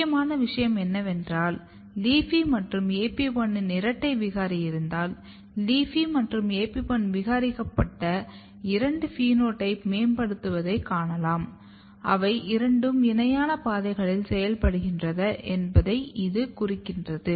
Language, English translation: Tamil, And important thing that if you have double mutant of LEAFY and AP1 you can see that phenotype of both LEAFY as well as AP1 mutant phenotype is enhanced which suggest that they are working in two parallel pathways